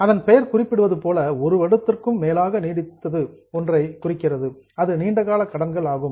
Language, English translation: Tamil, Now as the name suggests it is for a long term more than one year a borrowing